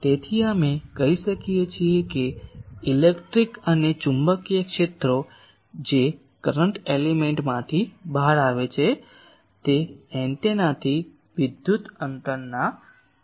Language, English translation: Gujarati, So, we can say that electric and magnetic fields that is coming out from the current element those are functions of the electrical distance of the antenna, from the antenna